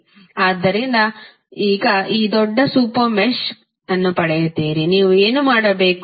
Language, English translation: Kannada, So, now you get this larger super mesh, what you have to do